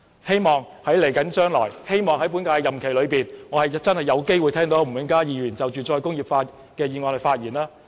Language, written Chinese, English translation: Cantonese, 希望在本屆任期內，我有機會聽到吳永嘉議員就"再工業化"的議案發言。, I hope that before the end of this legislative session we will have the chance to hear Mr Jimmy NG speak on the motion on re - industrialization